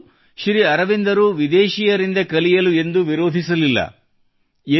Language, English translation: Kannada, It is not that Sri Aurobindo ever opposed learning anything from abroad